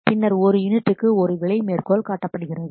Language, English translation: Tamil, So, now price per unit is quoted